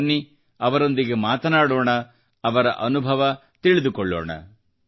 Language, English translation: Kannada, Come, let's talk to them and learn about their experience